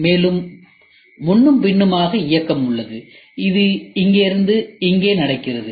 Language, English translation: Tamil, And, there is a back and forth movement which happens from here to here